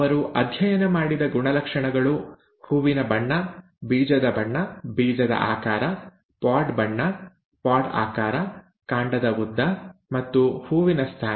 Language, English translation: Kannada, The characters that he studied were flower colour, seed colour, seed shape, pod colour, pod shape, stem length and the flower position